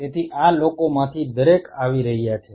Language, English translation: Gujarati, So, each one of these people are coming